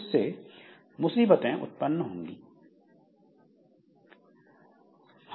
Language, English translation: Hindi, So, that creates the difficulty